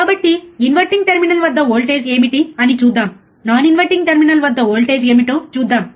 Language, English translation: Telugu, So, let us first see voltage at non inverting terminal, voltage at the inverting terminal 0